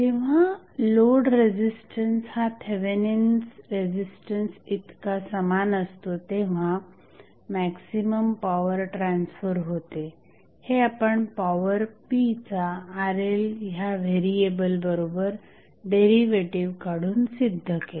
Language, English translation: Marathi, The maximum power transfer takes place when the load resistance is equal to Thevenin resistance this we derived when we took the derivative of power p with respect to Rl which is variable